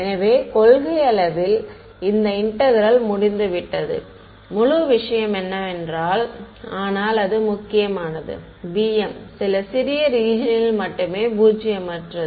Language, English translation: Tamil, So, in principle this integral is over the entire thing, but it does matter because b m is non zero only over some small region right